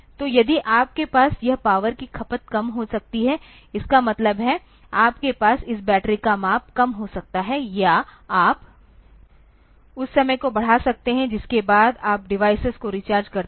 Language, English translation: Hindi, So, if you can have this power consumption low; that means, you can have this battery size reduced or you can increase the time after which you recharge the device